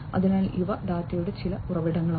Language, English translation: Malayalam, So, these are some of the sources of data